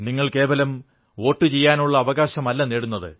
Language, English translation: Malayalam, And it's not just about you acquiring the right to Vote